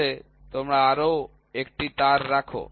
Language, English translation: Bengali, So, you put one more wire